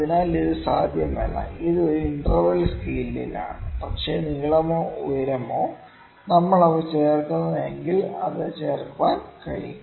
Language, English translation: Malayalam, So, it is not possible, it is in an interval scale, but the length; that means, if it is the height, yes, height if we keep on adding them yes that can be added, ok